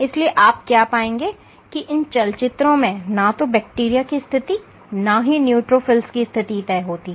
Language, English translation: Hindi, So, what you will find in these movies is neither the position of the bacteria nor the neutrophil positions of bacteria are not fixed in space